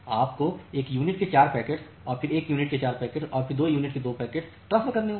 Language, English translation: Hindi, You have to transfer 4 packets of one unit then 1 packet of 4 unit then 2 packets of 2 unit